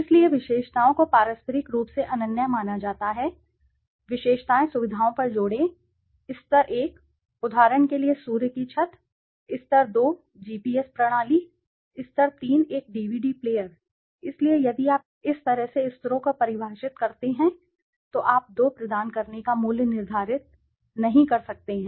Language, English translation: Hindi, So, attributes are assumed to be mutually exclusive, attribute add on features, level one, sun roof for example, level 2 GPS system, level 3 a DVD player, so if you define levels in this way you cannot determine the value of providing 2 or 3 features at the same time or none of them, so the question is how do you formulate the attributes or the levels